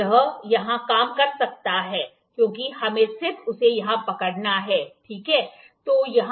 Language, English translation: Hindi, It can work here, because we just have to hold it here, ok